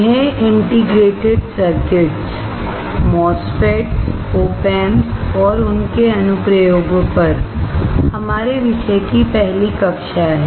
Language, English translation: Hindi, So, this is the first class on our subject on integrated circuits MOSFETS, op amps and their applications